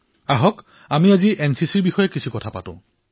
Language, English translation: Assamese, So let's talk about NCC today